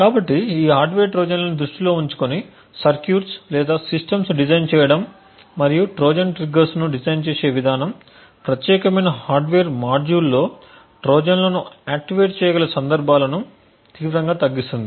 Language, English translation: Telugu, So, designing circuits or systems keeping in mind these hardware Trojans and the way a Trojans triggers can be designed could drastically reduce the cases where Trojans can be activated in particular hardware module